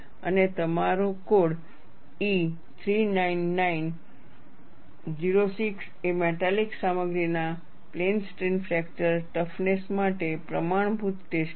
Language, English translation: Gujarati, And your code E 399 06 is the standard test method for plane strain fracture toughness of metallic materials